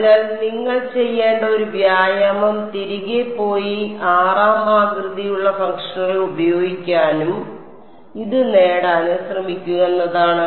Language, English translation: Malayalam, So, one exercise which you should do is go back and try to use the 6th shape functions and derive this